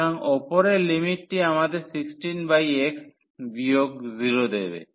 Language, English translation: Bengali, So, upper limit will give us 16 by x and minus the 0